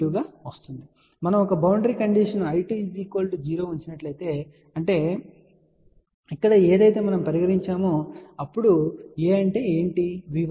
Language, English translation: Telugu, So, if we put a boundary condition is I 2 equal to 0 which is what has been put over here, then what will be A